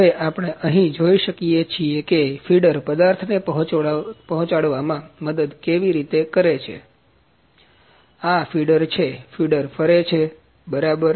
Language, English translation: Gujarati, Now, we can see here that how the feeder helps to feed the material, this is the feeder; feeder is rotating, ok